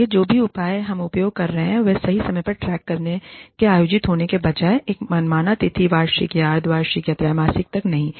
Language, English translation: Hindi, So, whatever measure, we are using, needs to track at the right time, rather than being held, to an arbitrary date, annual, or semi annual, or quarterly